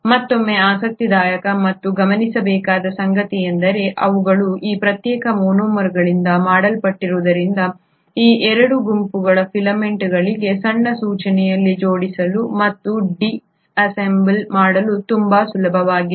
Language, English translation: Kannada, What is again interesting and important to note is that because they are made up of these individual monomers it is very easy for these 2 groups of filaments to assemble and disassemble at short notice